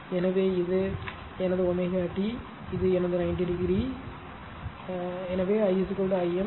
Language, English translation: Tamil, So, this is my omega t this is my your 90 degree I is equal to Im